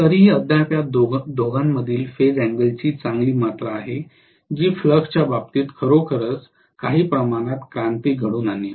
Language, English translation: Marathi, So still there is a good amount of phase angle between these two which will actually create some amount of revolution as far as the flux is concerned